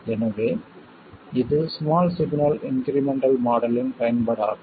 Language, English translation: Tamil, So, this is the utility of the small signal incremental model